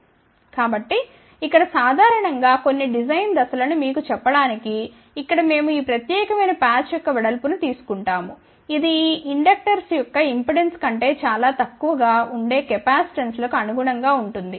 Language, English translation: Telugu, So, here just to tell you ah few design steps here in general we take the width of this particular patch here which corresponds to the capacitances to be much lesser than the impedances of these inductors